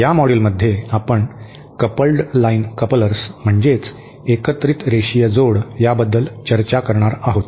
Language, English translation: Marathi, In this module we shall be discussing the coupled line couplers